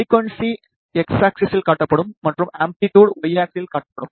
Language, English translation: Tamil, The frequency is displayed on the X axis and amplitude level is displayed on the Y axis